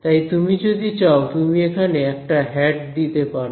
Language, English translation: Bengali, So, if you want you can put a hat over here